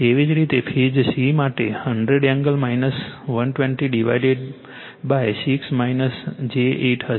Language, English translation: Gujarati, Similarly, for phase c 100 angle minus 120 divided by 6 minus j 8